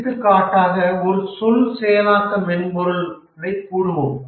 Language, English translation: Tamil, For example, let's say a word processing software